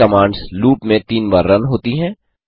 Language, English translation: Hindi, These commands are run 3 times in a loop